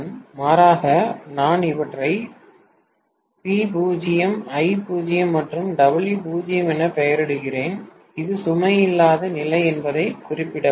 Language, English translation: Tamil, Rather I name these as V0, I0 and W0 to specify that this is no load condition